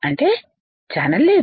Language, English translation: Telugu, It means a channel is not there